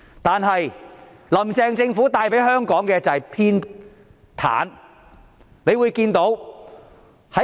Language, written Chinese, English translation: Cantonese, 但是，"林鄭"政府帶給香港的是偏袒。, However what the Carrie LAM Government has brought to Hong Kong is partiality